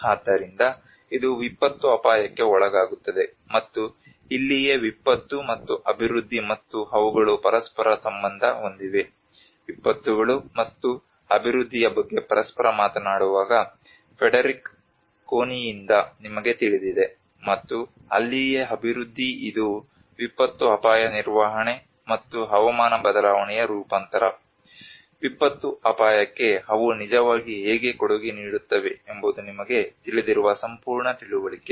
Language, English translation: Kannada, So which is subjected to the disaster risk and this is where the disaster and the development and this where they are interrelated, you know from Frederick Connie when he talks about the disasters and development are interrelated with each other, and that is where the development within which the disaster risk management and the climate change adaptation, how they can actually contributed to the disaster risk you know this is what the whole understanding